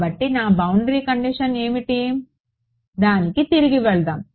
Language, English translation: Telugu, So, what is my boundary condition let us go back to it